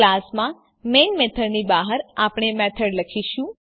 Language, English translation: Gujarati, In the class outside the main method we will write a method